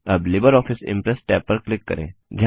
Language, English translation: Hindi, Now click on the LibreOffice Impress tab